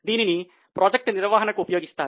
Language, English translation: Telugu, It is also very much used in project management